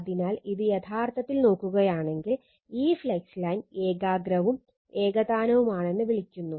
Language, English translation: Malayalam, So, this is actually if you look into that, this flux line is you are called your concentric right and uniform